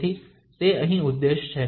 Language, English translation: Gujarati, So that is the objective here